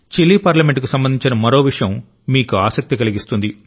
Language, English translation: Telugu, By the way, there is another aspect about the Chilean Parliament, one which will interest you